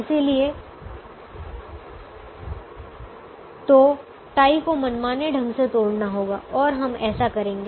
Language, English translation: Hindi, so this tie has to be broken arbitrarily and we do that